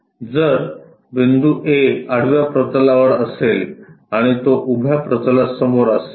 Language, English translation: Marathi, If, point A is on horizontal plane and it is in front of vertical plane